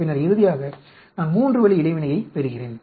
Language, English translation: Tamil, Then, finally I get the three way interaction